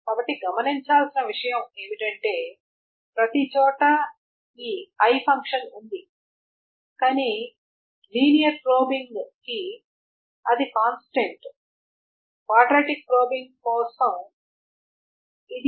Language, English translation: Telugu, So one thing to note is that everywhere there is this I function but for linear probing this is a constant